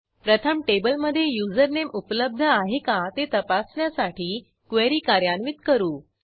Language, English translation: Marathi, First we execute the query to check if the username exists in the table